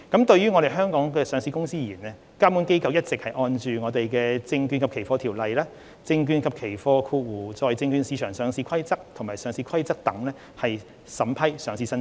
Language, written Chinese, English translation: Cantonese, 就於香港上市的公司而言，監管機構一直按《證券及期貨條例》、《證券及期貨規則》和《上市規則》等法規審批上市申請。, As far as companies listed in Hong Kong are concerned regulatory authorities have been approving listing applications in accordance with the laws and regulations such as the Securities and Futures Ordinance the Securities and Futures Rules and the Listing Rules